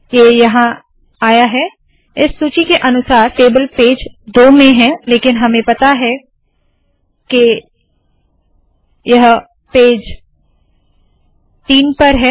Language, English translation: Hindi, Here it comes, the table according to this list is in page two but we know that it is in page 3